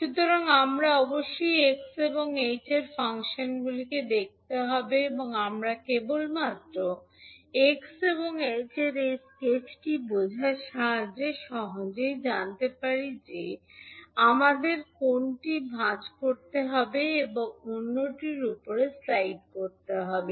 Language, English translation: Bengali, So we have to look at the functions x and h and we can with the help of just understanding the sketch of x and h, we can easily find out which one we have to fold and slide over the other one